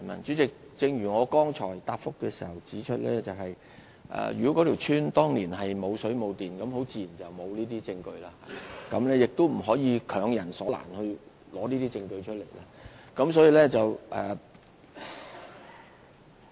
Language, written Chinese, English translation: Cantonese, 主席，正如我剛才的答覆所指出，如果一條村落當年並無水電供應，自然沒有這些證據，也不能強人所難，要求對方提交這些證據。, President as I have mentioned in my reply just now such bills do not exist at all if the public utilities were not yet available in the village in those days and we cannot impose on them such a difficult task as to provide this kind of proofs